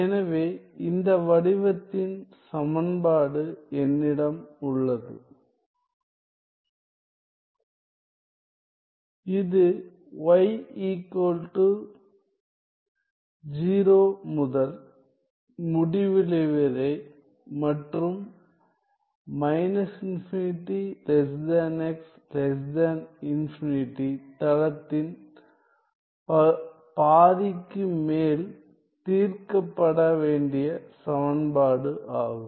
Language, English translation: Tamil, So, this is an equation to be solved over half of the plane from y 0 to infinity and x negative infinity to infinity